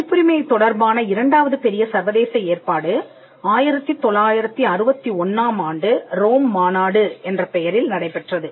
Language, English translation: Tamil, The second major international arrangement on copyright is what we call the Rome convention of 1961